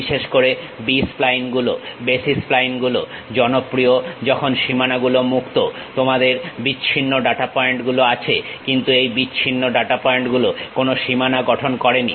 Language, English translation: Bengali, Especially, the B splines the basis splines are popular when boundaries are open, you have discrete data points, but these discrete data points are not forming any boundary